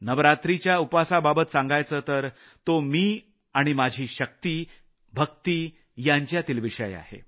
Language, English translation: Marathi, As far as the navaraatri fast is concerned, that is between me and my faith and the supreme power